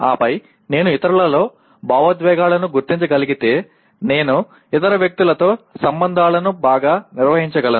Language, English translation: Telugu, And then if I am able to recognize emotions in others, I can handle the relations with other people much better